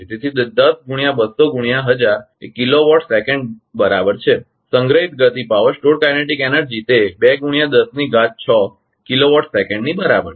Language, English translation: Gujarati, So, it is stained into 200 into 1000 is kilowatt second right stored kinetic energy it is equal to 2 into 10 to the power 6 kilowatt second right